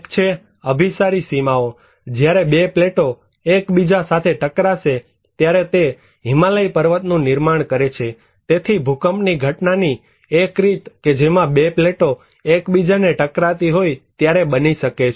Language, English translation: Gujarati, One is that convergent boundaries; when two plates collide together this created the Himalayan mountain so, one way of the event of earthquake that can happen when two plates are colliding each other